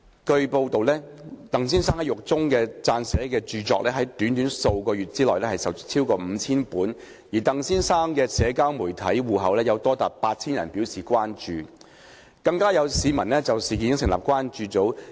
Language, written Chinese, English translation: Cantonese, 據報，鄧先生在獄中撰寫的著作在短短數月售出逾5000本，而鄧先生的社交媒體戶口有多達8000人表示關注，更有市民就事件成立關注組。, It has been reported that over 5 000 copies of a book written by Mr TANG in the prison have been sold in just a few months and as many as 8 000 people have expressed concerns on Mr TANGs social media account . Some members of the public have even set up a concern group on the incident